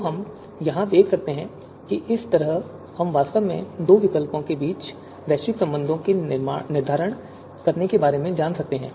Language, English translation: Hindi, So we can see here, this is how we can actually go about determining the global relation between two you know alternatives